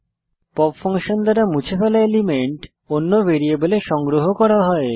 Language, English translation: Bengali, The element removed by pop function can be collected into another variable